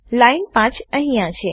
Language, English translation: Gujarati, Line 5 is here